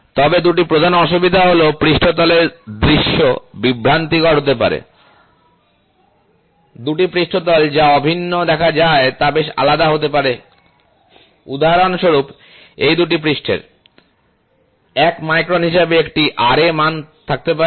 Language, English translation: Bengali, But the two major drawbacks are the view of the surface may be deceptive; two surfaces that appear identical might be quite difference, for example, these two surfaces can have a Ra value as 1 micron